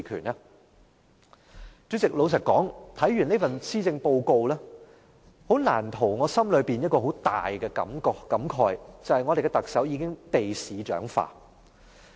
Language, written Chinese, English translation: Cantonese, 代理主席，老實說，看完這份施政報告，難逃我心裏一個很大的感慨，就是我們的特首已經被市長化。, Deputy President frankly speaking after reading through this Policy Address I have a strong feeling that our Chief Executive has already become a mayor